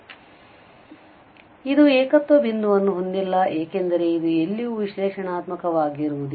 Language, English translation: Kannada, But this does not have a singular point, so it has no singular point since it is nowhere analytic